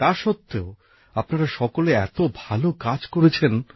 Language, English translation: Bengali, Despite that, you accomplished this impressive task